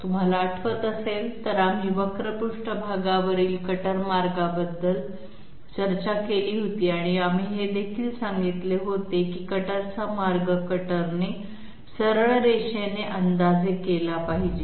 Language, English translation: Marathi, If you remember, we had discussed about cutter path on a curved surface and we had also discussed that the cutter path has to be approximated by the cutter by straight line segments